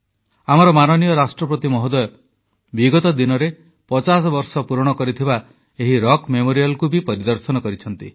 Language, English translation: Odia, Recently, in connection with the 50 years, our Honourable President paid a visit to the Rock Memorial